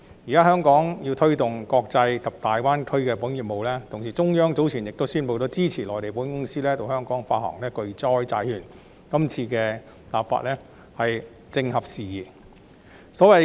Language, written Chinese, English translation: Cantonese, 現在，香港要推動國際及大灣區的保險業務，同時，中央早前亦宣布支持內地保險公司到香港發行巨災債券，所以，今次立法工作正合時宜。, Now Hong Kong seeks to promote insurance business globally and in the Greater Bay Area and at the same time the Central Government also announced support for Mainland insurers issuance of catastrophe bonds in Hong Kong earlier . It is thus an opportune time to have this legislative exercise